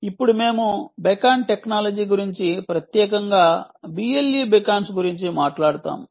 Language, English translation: Telugu, now we will talk about the beacon technology in detail, ah, particularly b l e beacons